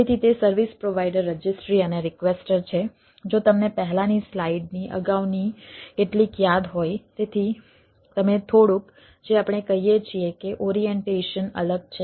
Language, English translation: Gujarati, so it is service provider, registry and requestor, just if you remember the previous couple of slides before